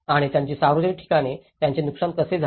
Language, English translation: Marathi, And their public places, how they were damaged